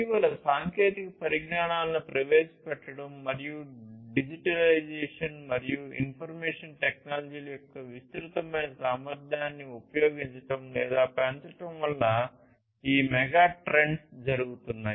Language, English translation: Telugu, These megatrends are due to the introduction of recent technologies and using or leveraging the pervasive potential of digitization and information technologies